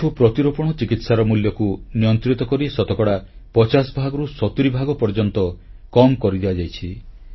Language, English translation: Odia, Knee implants cost has also been regulated and reduced by 50% to 70%